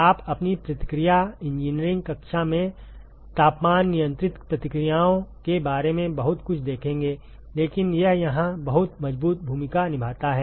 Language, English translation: Hindi, You will see a lot more about temperature controlled reactions in your reaction engineering class, but it plays a very strong role here